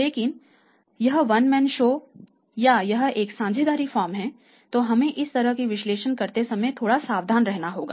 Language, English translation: Hindi, But it is a one man show all it is a partnership firm then we have to be little careful while making this kind of analysis